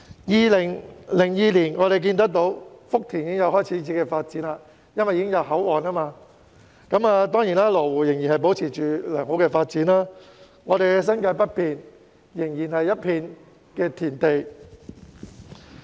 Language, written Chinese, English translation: Cantonese, 2002年福田開始發展，因為設立了口岸，而羅湖亦繼續保持良好發展，但我們的新界北面仍然是一片田地。, In 2002 Futian began to develop after the establishment of a port and Lo Wu kept up with its impressive development . Yet our northern New Territories was still full of farmland